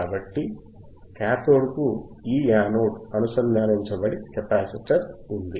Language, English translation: Telugu, So, this anode to cathode is connected to the capacitor to the capacitor alright